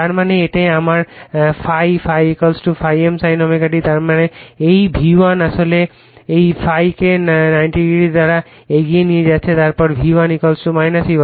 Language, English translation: Bengali, That means, this is my ∅, ∅ = ∅ m sin omega t; that means, this V1 actually leading this ∅ / 90 degree then V1 = minus E1